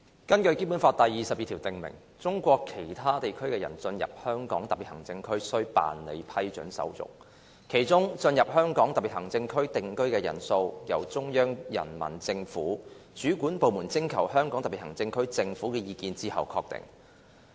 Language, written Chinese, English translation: Cantonese, 《基本法》第二十二條訂明："中國其他地區的人進入香港特別行政區須辦理批准手續，其中進入香港特別行政區定居的人數由中央人民政府主管部門徵求香港特別行政區政府的意見後確定"。, Article 22 of the Basic Law provides that [f]or entry into the Hong Kong Special Administrative Region people from other parts of China must apply for approval . Among them the number of persons who enter the Region for the purpose of settlement shall be determined by the competent authorities of the Central Peoples Government after consulting the government of the Region